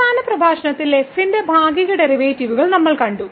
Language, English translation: Malayalam, So, in the last lecture what we have seen the partial derivatives of